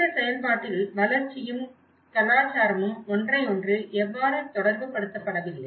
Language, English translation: Tamil, And this is where how development and culture are not related to each other in the process